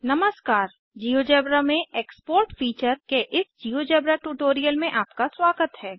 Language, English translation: Hindi, Welcome to this Geogebra tutorial on the Export feature in GeoGebra